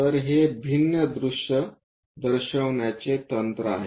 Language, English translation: Marathi, So, it is a technique of showing different views